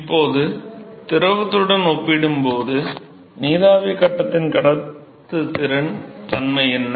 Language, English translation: Tamil, Now what is the nature of the conductivity of vapor phase compared to liquid